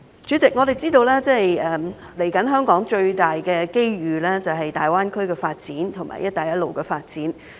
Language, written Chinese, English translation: Cantonese, 主席，我們知道香港接下來最大的機遇便是粵港澳大灣區和"一帶一路"的發展。, President we know that the biggest forthcoming opportunity for Hong Kong is the development of the Guangdong - Hong Kong - Macao Greater Bay Area and the Belt and Road Initiative